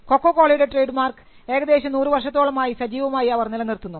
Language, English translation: Malayalam, For instance, Coca Cola is a trademark which has been kept alive for close to 100 years